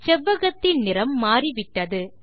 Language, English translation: Tamil, The color of the rectangle has changed